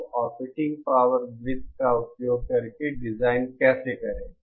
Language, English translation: Hindi, So, how to design using the operating power circle